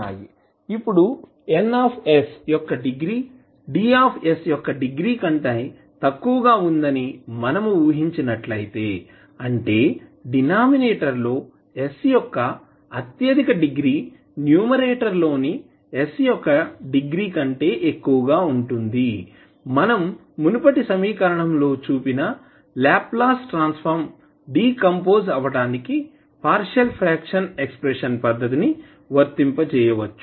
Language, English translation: Telugu, Now, if we assume that the degree of Ns is less than the degree of Ds that means the highest degree of s in denominator is greater than the highest degree of s in numerator we can apply the partial fraction expansion method to decompose the Laplace Transform which was shown in the previous equation